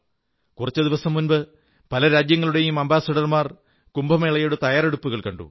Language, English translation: Malayalam, A few days ago the Ambassadors of many countries witnessed for themselves the preparations for Kumbh